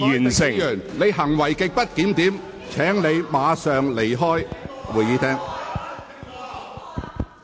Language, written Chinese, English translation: Cantonese, 朱凱廸議員，你行為極不檢點，請立即離開會議廳。, Mr CHU Hoi - dick you have behaved in a grossly disorderly manner . Please leave the Chamber immediately